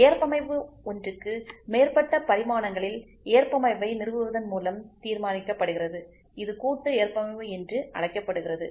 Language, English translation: Tamil, The tolerance is determined by establishing tolerance on more than one dimension it is known as compound tolerance